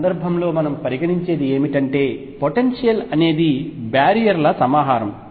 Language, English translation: Telugu, What we consider in this case is that the potential is a collection of these barriers